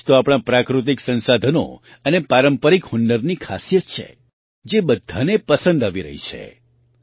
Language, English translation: Gujarati, This is the very quality of our natural resources and traditional skills, which is being liked by everyone